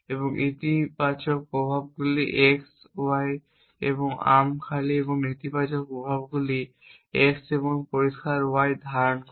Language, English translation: Bengali, And the effects positive are on x y and arm empty and the effects negative are holding x and clear y